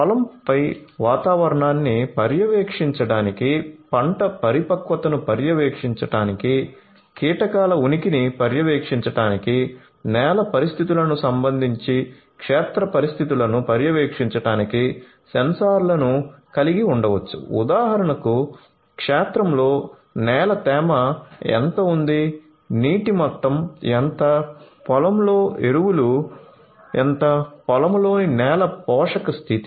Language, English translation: Telugu, So, on the firm we can have sensors to monitor weather, to monitor the crop maturity, to monitor the presence of insects, to monitor the conditions of the field with respect to the soil conditions for example, how much soil moisture is there in the field, how much is the water level, how much is the fertilizer content of the field, the soil nutrient condition of the field